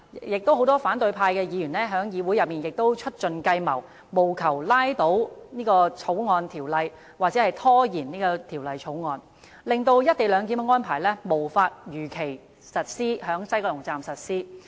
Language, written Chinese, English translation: Cantonese, 亦有很多反對派議員在議會內千方百計，務求拖延《條例草案》的通過，甚至將之拉倒，令"一地兩檢"安排無法如期在西九龍站實施。, There are also Members from the opposition camp who have employed all sort of tricks in an attempt to stall if not scupper the Bills passage so as to forestall the implementation of co - location at WKS as scheduled